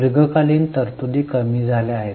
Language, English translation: Marathi, Long term provisions have gone down